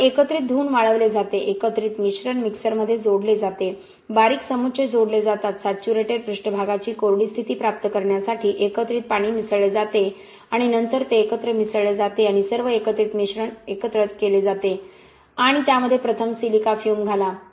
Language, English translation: Marathi, So washed and dried aggregates, aggregates added to the mixer, fine aggregates are added, mixing water added to the aggregate to attain a saturated surface dry condition, so adjust for that and then mix it together and blend all the aggregates together, add silica fume first, why